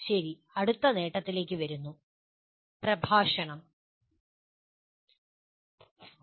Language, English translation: Malayalam, Okay, coming to the next advantage, “discourse”